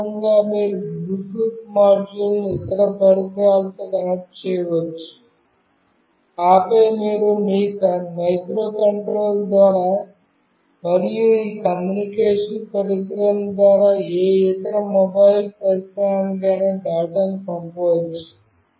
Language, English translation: Telugu, This is how you can actually connect a Bluetooth module with any other device, and then you can send the data through your microcontroller and through this communicating device to any other mobile device